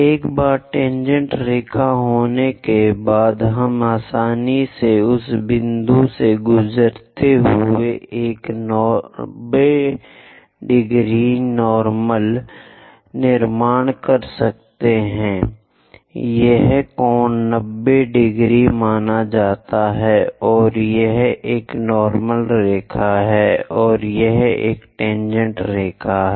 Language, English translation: Hindi, Once tangent line is there, we can easily construct a 90 degrees normal passing through that point; this angle supposed to be 90 degrees and this one is a normal line, and this one is a tangent line